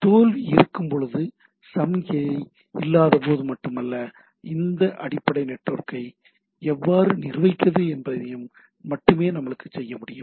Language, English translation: Tamil, So, we can only it is not only when the failure is there signal is not there, but how to manage this all this underlying network